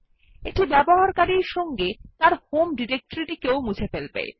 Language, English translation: Bengali, This is to remove the user along with his home directory